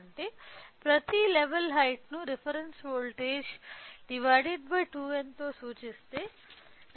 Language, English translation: Telugu, That means, each level height can be represented with reference voltage divided by 2 power n